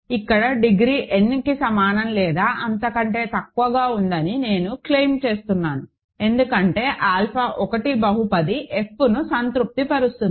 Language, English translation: Telugu, I claim that degree here is less than equal to n because, alpha 1 satisfies the polynomial f right